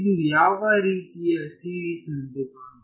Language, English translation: Kannada, What kind of series does it look like